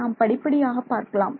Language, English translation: Tamil, So, let us come to it step by step